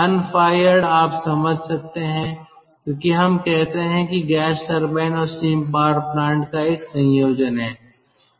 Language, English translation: Hindi, unfired, you can understand, because, ah, lets say, there is a combination of a gas turbine and a steam power plant